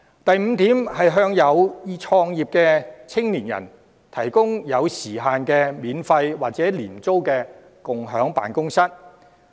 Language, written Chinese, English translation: Cantonese, 第五，向有意創業的青年人提供限時的免費或廉租共享辦公室。, My fifth proposal is to provide young people with aspirations for starting their own business with free or low - rent shared offices on a time limited basis